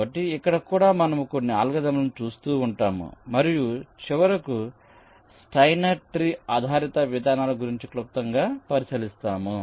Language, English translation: Telugu, so here also we shall be looking up a couple of algorithms and finally, a brief look at steiner tree based approaches shall be ah discussed now